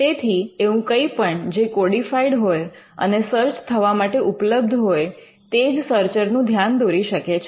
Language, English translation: Gujarati, So, anything that is codified and searchable, and available to the searcher may catch the attention of the searcher